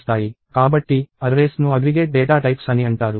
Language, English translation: Telugu, So, arrays are what are called aggregate data types